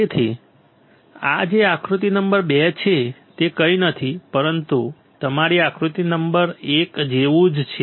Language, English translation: Gujarati, So, this one which is figure number 2 is nothing, but similar to your figure number one